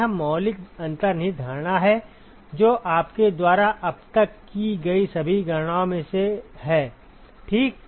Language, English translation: Hindi, This is the fundamental underlying assumption that went into all the calculations you have done so far ok